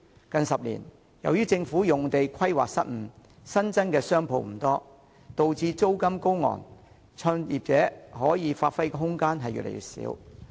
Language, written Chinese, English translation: Cantonese, 近10年來，由於政府土地規劃失誤，新增商鋪不多，導致租金高昂，創業者可以發揮的空間越來越少。, Over the past 10 years due to poor land use planning of the Government the limited number of new shop premises has pushed up the rent . This leaves business starters with lesser room for development